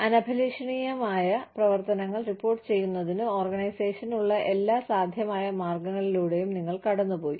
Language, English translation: Malayalam, You have gone through, every possible method, that the organization has, to report undesirable activities